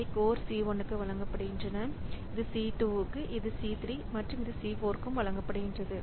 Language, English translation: Tamil, So they are, this is given to code C1, this is to C2, this is C3 and this is C4